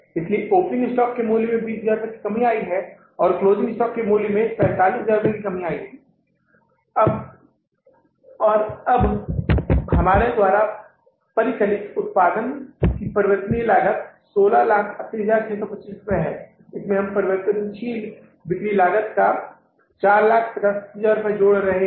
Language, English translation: Hindi, So value of the opening stock has come down by 20,000 and value of the closing stock has come down by the 45,000s and now the variable cost of production we have calculated is the 16,080,625 into this we are adding up 450,000 rupees of the variable selling cost because what is the selling cost here